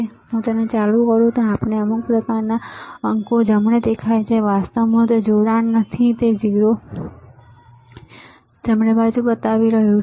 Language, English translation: Gujarati, If I turn it on we see some kind of digits right, actually it is not connected so, it is showing 0 right